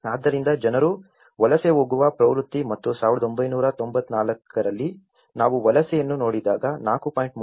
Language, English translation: Kannada, So, that is how people tend to migrate and about 1994 when we see the migration, out of 4